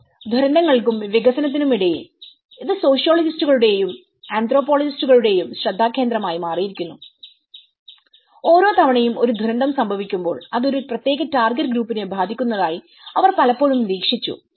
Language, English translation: Malayalam, Between the disasters and the development where this it has also become a focus of the sociologists and anthropologists, they often observed that every time a disaster happens, it is affecting mostly a particular target group